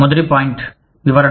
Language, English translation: Telugu, The first point, is the explanation